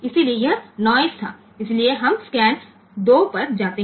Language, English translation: Hindi, So, it was in noise so we go to the scan 2